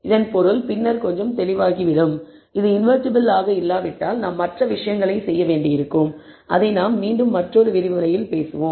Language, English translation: Tamil, The meaning of this will become little clearer later, and if it is not invertible we will have to do other things which we will again talk in another lecture